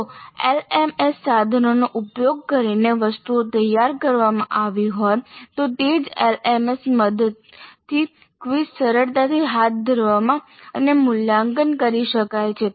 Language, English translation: Gujarati, If items are designed using the tools of an LMS then as we just know sir the quizzes can be readily conducted and evaluated with the help of the same LMS